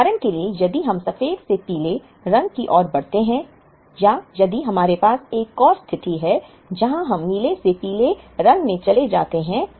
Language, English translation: Hindi, For example, if we move from white to yellow or if we have another situation, where we move from blue to yellow